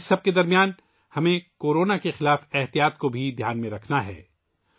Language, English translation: Urdu, In the midst of all this, we also have to take precautions against Corona